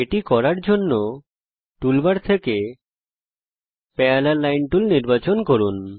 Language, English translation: Bengali, To do this select the Parallel Line tool from the toolbar